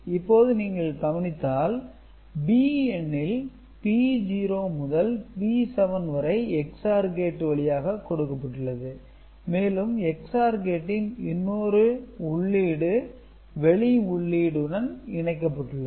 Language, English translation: Tamil, Now, you see one thing that this B number B naught B 7 is passing though a XOR gate and one of the input to the XOR gate is connected to an external input